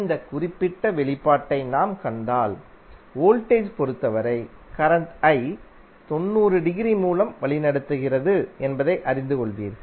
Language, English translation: Tamil, Then if you see this particular expression you will come to know that current I is leading with respect to voltage by 90 degree